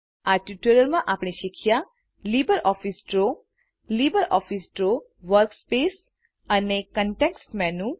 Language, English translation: Gujarati, In this tutorial, we learnt about LbreOffice Draw, The LibreOffice Draw Workspace and And the context menu